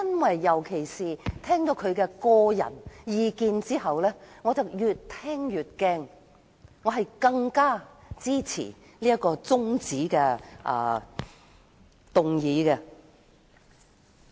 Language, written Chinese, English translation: Cantonese, 我聽到她的個人意見後，更是越聽越擔心，因而更加支持這項中止待續議案。, After listening to her personal views I am getting increasingly worried and have stronger support for this adjournment motion